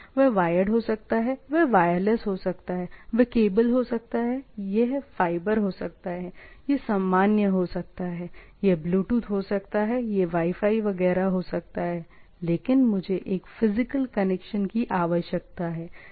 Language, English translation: Hindi, It can be wired, it can be wireless, right, it can be cable, it can be fiber, it can be normal, it can be Bluetooth, it can be Wi Fi etcetera, but I require a physical connection, right